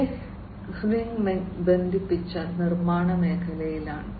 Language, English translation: Malayalam, Gehring is in the space of connected manufacturing